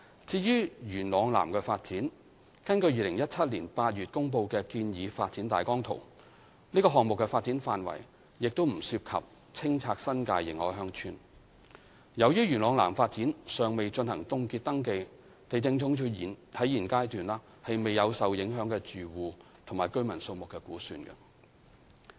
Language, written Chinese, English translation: Cantonese, 至於元朗南發展，根據2017年8月公布的建議發展大綱圖，該項目的發展範圍亦不涉及清拆新界認可鄉村。由於元朗南發展尚未進行凍結登記，地政總署現階段未有受影響的住戶及居民數目估算。, For the Yuen Long South YLS development no clearance of any New Territories recognized villages will be involved within the development area of the project according to the Recommended Outline Development Plan announced in August 2017